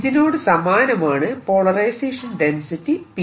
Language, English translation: Malayalam, that's the polarization density